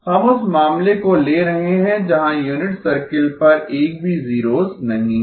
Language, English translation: Hindi, We are taking the case where there are no zeros on the unit circle